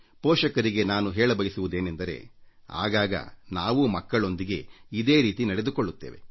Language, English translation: Kannada, I would like to convey to parents that we do exactly the same with our children